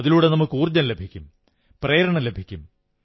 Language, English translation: Malayalam, That lends us energy and inspiration